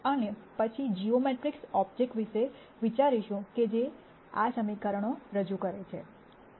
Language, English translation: Gujarati, And then think about what geometric objects that these equations represent